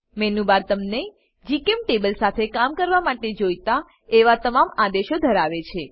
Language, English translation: Gujarati, Menubar contains all the commands you need to work with GChemTable